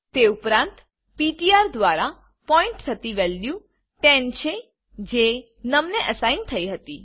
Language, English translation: Gujarati, Also the value pointed by ptr is 10 which was assigned to num